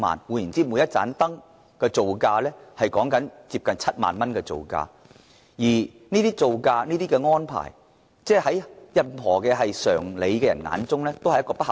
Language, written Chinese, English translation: Cantonese, 換言之，每一盞燈的造價接近7萬元，而這個造價在有常理的人的眼中一定極不合理。, In other words the building cost of each lamp is close to 70,000 which is extremely unreasonable in the eyes of people with common sense